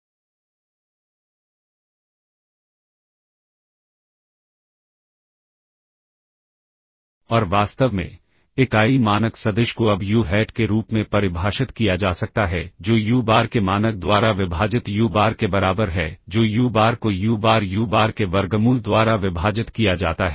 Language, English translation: Hindi, And in fact the unit norm vector can now be defined as uHat equals uBar divided by norm of uBar that is uBar divided by square root of uBar uBar and